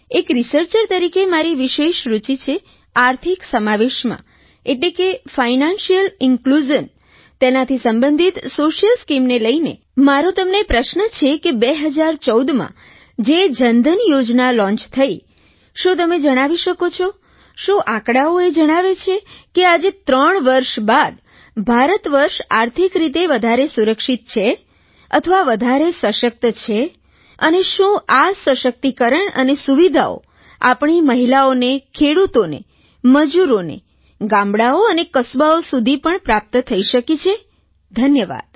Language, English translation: Gujarati, With reference to the social schemes related to Financial Inclusion, my question to you is In the backdrop of the Jan DhanYojna launched in 2014, can you say that, do the statistics show that today, three years later, India is financially more secure and stronger, and whether this empowerment and benefits have percolated down to our women, farmers and workers, in villages and small towns